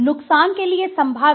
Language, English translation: Hindi, Potential for harm